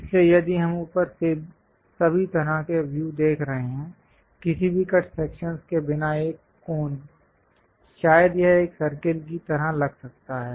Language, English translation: Hindi, So, if we are looking at a view all the way from top; a cone without any cut sections perhaps it might looks like a circle